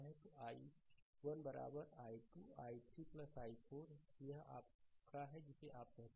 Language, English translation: Hindi, So, i 1 is equal 2 i 3 plus i 4, right, this is your ah your what you call